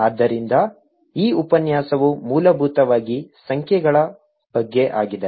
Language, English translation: Kannada, so this lecture essentially about numbers